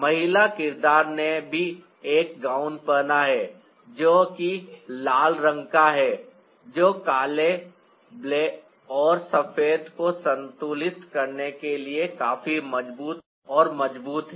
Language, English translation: Hindi, the female character is also wearing a gown which is red in color that is strong and strong enough to balance the black and white